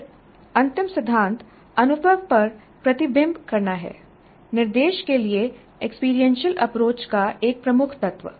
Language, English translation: Hindi, Then the last principle is reflecting on the experience, a key, key element of experience based approach to instruction